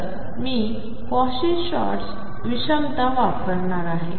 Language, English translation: Marathi, So, I am going to have from Cauchy Schwartz inequality